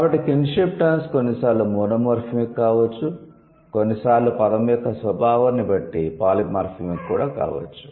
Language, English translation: Telugu, So, kinship terms can sometimes be monomorphic, can sometimes be polymorphic depending on the nature of the word